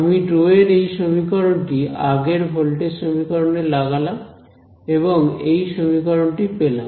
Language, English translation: Bengali, So, I plug this expression for rho into the previous voltage equation and outcomes this expression